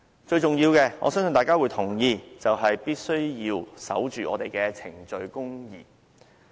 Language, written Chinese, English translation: Cantonese, 最重要的——我相信大家會同意——就是必須守着我們的程序公義。, The most important thing which I believe Members will agree with me is that we should be upholding procedural justice